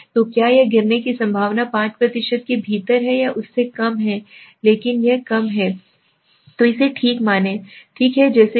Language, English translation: Hindi, So is it the probability of falling is within the 5% or is less than that, if it is less then reject it okay, as good as that